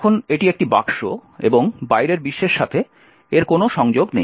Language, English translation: Bengali, Now, this is a box and there is no connection to the outside world